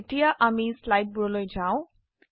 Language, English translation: Assamese, Now we go back to the slides